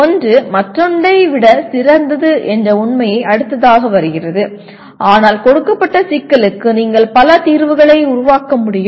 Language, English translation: Tamil, The fact that one is better than the other comes next but you should be able to produce multiple solutions for a given problem